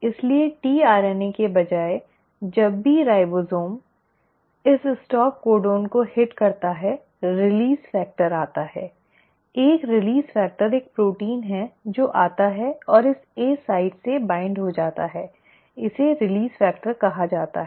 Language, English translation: Hindi, So instead of a tRNA whenever the ribosome hits this stop codon, what is called as a “release factor” comes, a release factor, it is a protein which comes and binds to this A site, it is called as the release factor